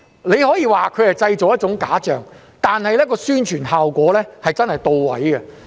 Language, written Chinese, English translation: Cantonese, 你可以說它是製造了一種假象，但其宣傳效果確實是到位的。, You may say that it is nothing more than an illusion but it has already achieved its promotional effect